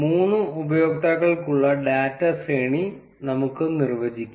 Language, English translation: Malayalam, Let us define the data array for three users